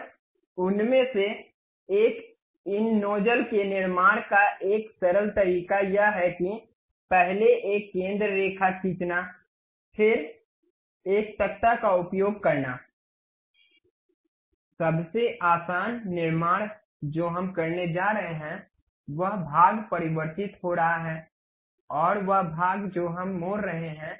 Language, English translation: Hindi, And one of the a simple way of constructing these nozzles is first draw a centre line, then use a spline, the easiest construction what we are going to do that portion is converging, and that portion we are having diverging